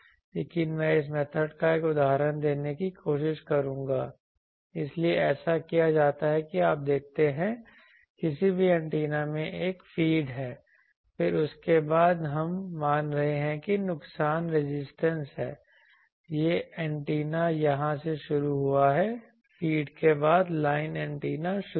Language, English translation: Hindi, But I will try to give an example of this method, so what is done that you see the any antenna there is a feed then after that we are assuming that there is a loss resistance, this is the antenna started from here after feed line antenna started